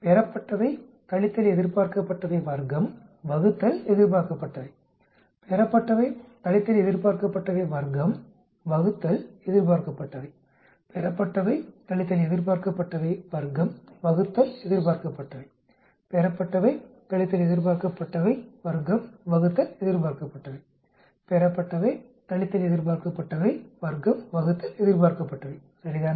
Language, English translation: Tamil, Observed minus expected square divided by expected, observed minus expected square divided by expected, observed minus expected square divided by expected, observed minus expected square divided by expected, observed minus expected square divided by expected, observed minus expected square divided by expected, right